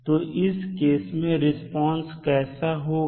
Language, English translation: Hindi, So, in that case what will be the response